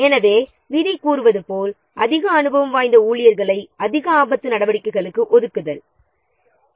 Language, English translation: Tamil, So, as the rules says, allocating the most experienced staff to the highest risk activities